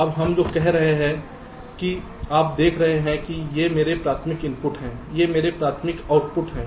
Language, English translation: Hindi, now what we are saying is that you see, these are my primary inputs, these are my primary outputs